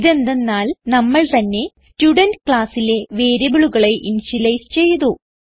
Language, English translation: Malayalam, This is because, we have not initialized the variables to any value